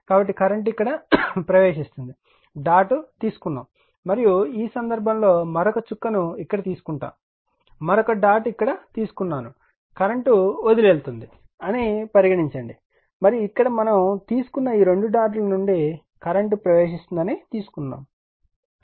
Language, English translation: Telugu, So, current is entering here is dot is taken right and in this case you are what you call another dot is taken here another dot is taken here right, say current is your what you call leaving and here it is taken that current is entering this 2 dots we have taken